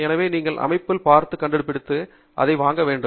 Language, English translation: Tamil, So, you should really look at it, and find it, and buy it